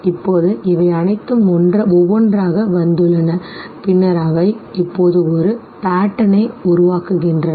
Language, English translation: Tamil, Now all of them have come one by one and then they form a pattern out of it now